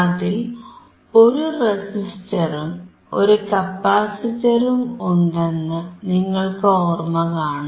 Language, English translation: Malayalam, And here we can see the capacitor and the resistor